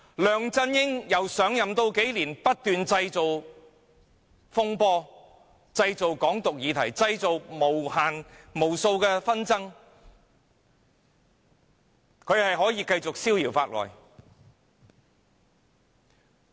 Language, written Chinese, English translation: Cantonese, 梁振英上任數年，不斷製造風波，又製造"港獨"議題和無數紛爭，卻可以繼續逍遙法外。, During the past few years of office LEUNG Chun - ying had stirred up one storm after another creating the subject of Hong Kong independence and numerous disputes yet he is still free from any punishment